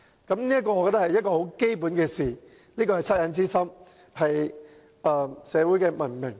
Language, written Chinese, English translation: Cantonese, 我覺得這是很基本的事，是惻隱之心，是文明社會的做法。, As I see it this is a fundamental principle based on the feeling of commiseration as well as an approach that should be adopted in a civilized society